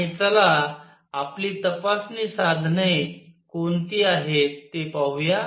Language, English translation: Marathi, And let us see what are our investigation tools